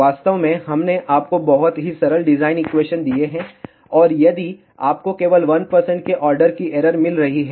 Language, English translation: Hindi, In fact, we have given you very very simple design equation and if you are getting error of only of the order of 1 percent